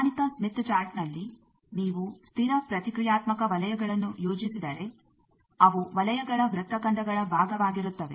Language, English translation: Kannada, On the standard smith chart if you plot the constant reactance circles they will be part of the circles arcs